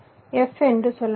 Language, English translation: Tamil, lets say f